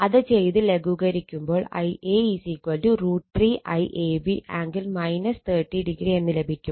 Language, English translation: Malayalam, If you simplify you will get I a is equal to root 3 I AB angle minus 30 degree